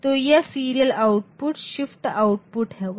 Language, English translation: Hindi, So, that will be this serial output will be the shift output